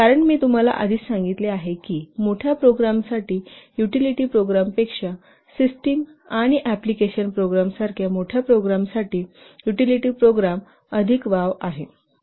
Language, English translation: Marathi, Because I have already told you that for larger programs, there are more scope for parallel activities for larger programs such as systems and application programs than the utility programs